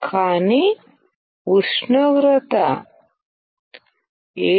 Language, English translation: Telugu, But the temperature is greater than 700oC